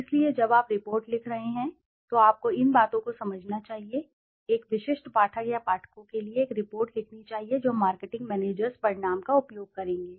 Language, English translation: Hindi, So when you are writing the report you should be understanding these things, a report should be written for a specific reader or readers the marketing managers who will use the results